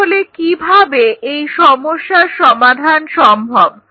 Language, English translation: Bengali, So, how to target the problem